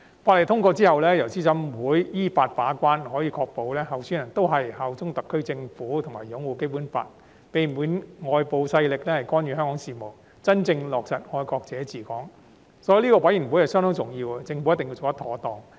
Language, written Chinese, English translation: Cantonese, 法案通過後，由資審會依法把關，可以確保參選人均效忠特區政府及擁護《基本法》，避免外部勢力干預香港事務，真正落實"愛國者治港"，所以資審會相當重要，政府一定要做得妥當。, Upon the passage of the Bill CERC will act as the law - based gatekeeper to ensure that all candidates bear allegiance to the SAR Government and uphold the Basic Law avoid the interference of external forces in the affairs of Hong Kong and truly implement patriots administering Hong Kong . Hence CERC is crucial . The Government must handle it properly